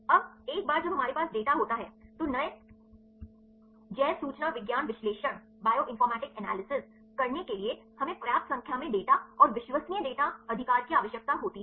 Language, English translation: Hindi, Now, once we have the data, right for doing the new bioinformatics analysis right we require a sufficient number of data and reliable data right